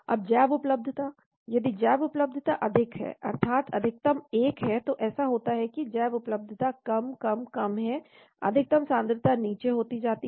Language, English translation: Hindi, Now bioavailability, if the bioavailability is high that means maximum is 1, it happens like this the bioavailability is less, less, less, the maximum concentration keeps going down